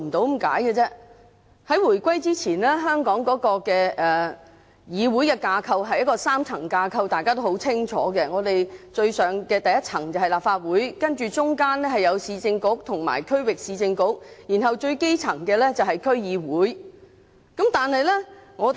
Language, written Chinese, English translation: Cantonese, 大家都很清楚，回歸之前，香港的議會架構是一個3層架構，最上的一層是立法局，中間是市政局和區域市政局，最底層的是區議會。, It is a well - known fact that before the reunification the parliamentary assembly structure in Hong Kong had three tiers the top being the Legislative Council middle the Urban Council and Regional Council and the bottom DCs